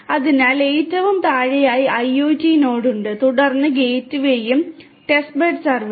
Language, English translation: Malayalam, So, at the very bottom is the IoT node, then is the gateway and the testbed server